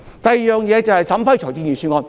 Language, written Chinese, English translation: Cantonese, 第二，審批財政預算案。, Secondly we have to examine and approve budgets